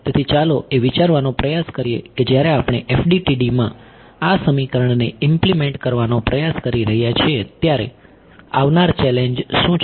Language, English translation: Gujarati, So, let us try to just think of what are the challenges that will come when we are trying to implement this equation in FDTD